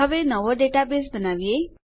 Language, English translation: Gujarati, Now, well create a new database